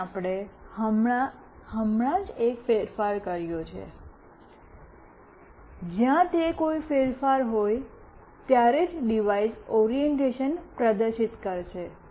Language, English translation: Gujarati, Here we have just made one change, where it will display the orientation of the device only when there is a change